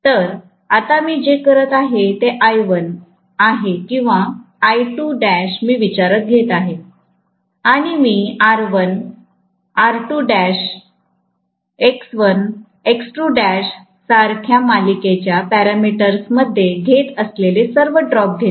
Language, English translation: Marathi, So, now what I am doing is I1 or I2 dash I take into consideration and I take all the drops that are taking place in the series parameters, like R1, R2 dash, X1, X2 dash